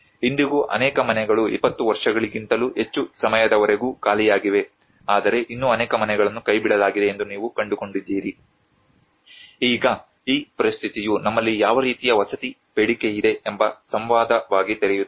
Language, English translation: Kannada, Even today many houses are still empty more than 20 years now but still many houses you find they are abandoned, it is now this situation opens as a dialogue of what kind of a housing demand we have